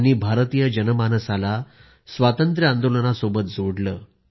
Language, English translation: Marathi, He integrated the Indian public with the Freedom Movement